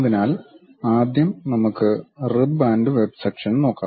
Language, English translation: Malayalam, So, the first thing, let us look at rib and web sections